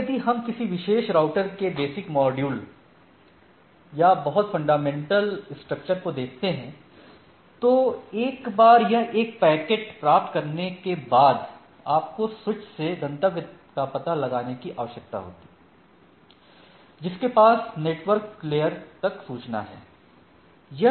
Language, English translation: Hindi, Now, if we look at the basic modules or very fundamental structure of the a particular router so once it is received a packet you need to extract the destination address from the IP address